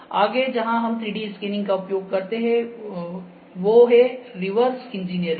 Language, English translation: Hindi, Next where does 3D scanning apply the major application is in reverse engineering